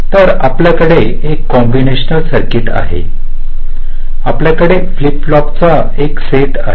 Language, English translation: Marathi, so you have a combinational circuit, you have a set of flip flops, so i am showing them separately